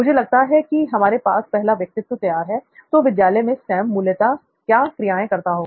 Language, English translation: Hindi, So we have I think our first persona, so in school what would be the core activity that Sam would be doing